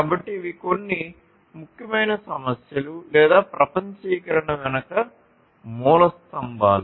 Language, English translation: Telugu, So, these are some of the important issues or the cornerstones behind globalization